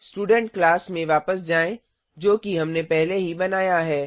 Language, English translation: Hindi, Let us go back to the Student class we had already created